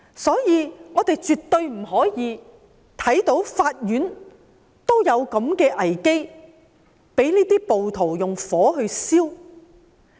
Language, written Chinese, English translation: Cantonese, 所以，我們絕不可以容忍法院陷入這樣的危機，被暴徒縱火破壞。, Hence we definitely do not allow the courts to fall into such a crisis and be set fire and damaged by rioters